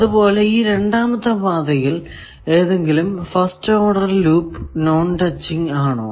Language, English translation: Malayalam, And, is there any first order loop which is non touching with the second path